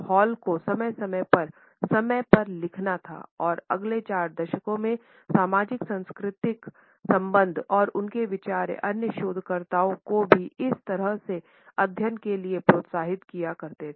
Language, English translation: Hindi, Hall was to write periodically about time and the socio cultural relations over the next four decades and his ideas have encouraged other researchers to take up similar studies